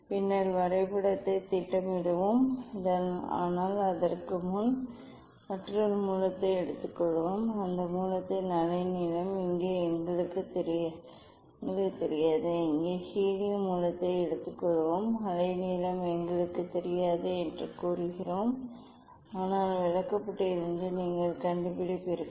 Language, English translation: Tamil, Let us plot graph later on but, before that let us take another source let us take another source The wavelength of that source is not known to us here we will take helium source say we do not know the wavelength although from chart you will find out